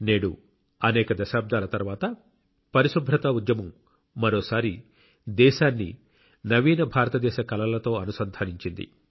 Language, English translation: Telugu, Today after so many decades, the cleanliness movement has once again connected the country to the dream of a new India